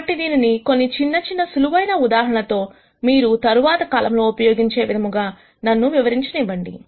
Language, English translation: Telugu, So, let me illustrate this with some very, very simple examples so that we use this at later times